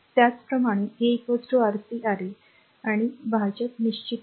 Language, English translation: Marathi, Similarly, R 2 is equal to Rc Ra and denominator is fixed